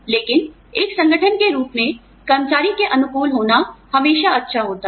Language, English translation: Hindi, But, as an organization, it is always nice to be employee friendly